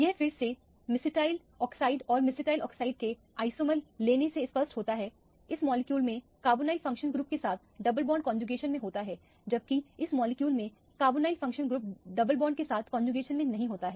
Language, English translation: Hindi, This is illustrated by again taking mesityl oxide and the isomer of mesityl oxide, in this molecule the double bond is in conjugation with the carbonyl functional group whereas in this molecule the double bond is not in conjugation with the carbonyl functional group